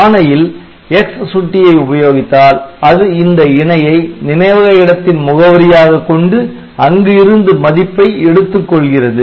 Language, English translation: Tamil, So, if you use this X pointer in your instruction then it will be using this pair as the memory location address from where the value should be read